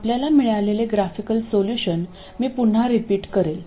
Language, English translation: Marathi, I will repeat the graphical solution which we had got